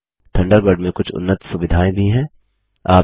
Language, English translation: Hindi, Thunderbird also has some advanced features